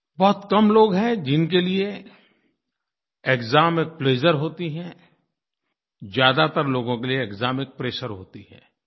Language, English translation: Hindi, But there are very few people for whom there is pleasure in the exam; for most people exam means pressure